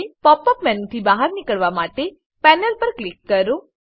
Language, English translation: Gujarati, Click on the panel to exit the Pop up menu